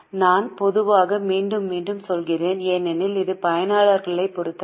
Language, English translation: Tamil, I am saying generally, generally, generally again and again because this depends on the users